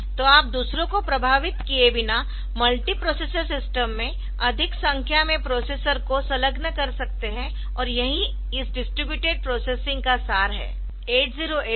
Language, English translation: Hindi, So, you can have more number of multiprocessors attached to the system in a multi processor system without effecting the others and so that is the essence of this distributed processing